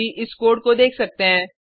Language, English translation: Hindi, You can have a look at this code now